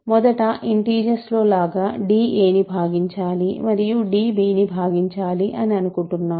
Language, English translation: Telugu, So, first of all just like in the integer case, I want d to divide a and d to divide b, ok